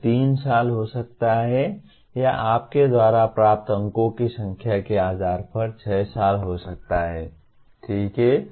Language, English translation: Hindi, It could be 3 years or it could be 6 years depending on the number of marks that you get, okay